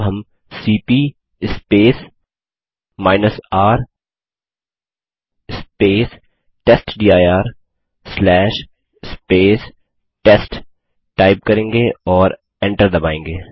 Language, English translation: Hindi, Now we type cp R testdir/ test and press enter